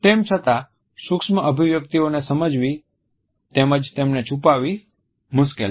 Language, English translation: Gujarati, Even though it is difficult to understand micro expressions as well as to conceal them